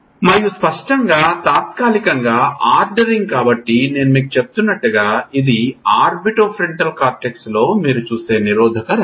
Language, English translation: Telugu, And obviously, temporally ordering, so as I was telling you this is the type of dis inhibition which you see in orbitofrontal cortex